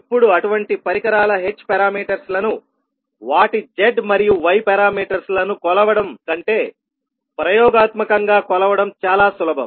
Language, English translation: Telugu, Now, it is much easier to measure experimentally the h parameters of such devices, then to measure their z and y parameters